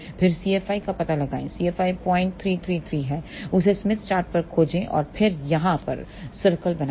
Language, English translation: Hindi, 333 locate that on the smith chart and then draw the circle over here